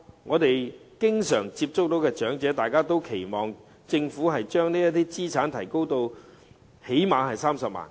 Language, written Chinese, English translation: Cantonese, 我們經常接觸的長者均期望政府能將這資產限額提高至最少30萬元。, The elderly with whom we have frequent contact expect the Government to raise this asset limit to at least 300,000